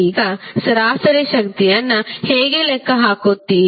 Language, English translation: Kannada, Now, how you will calculate average power